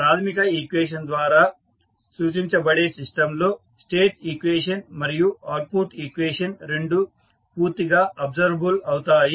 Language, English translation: Telugu, So, for the system described by the standard equation, state equation and the output equation can be completely observable